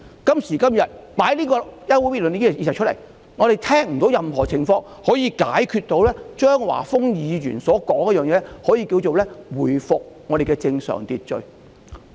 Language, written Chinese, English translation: Cantonese, 今時今日，張華峰議員提出休會待續議案後，我們聽不到有任何建議可以解決他提出的問題，能夠令社會回復正常秩序。, At this moment after Mr Christopher CHEUNG has proposed this adjournment motion we cannot hear any suggestions which can resolve the problems mentioned by him and enable society to restore normal order